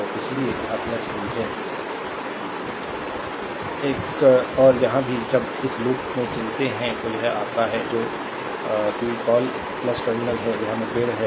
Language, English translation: Hindi, So, that is why it is plus v 1 , and here also when we move in this loop, it is your what you call plus ah terminal it is encountering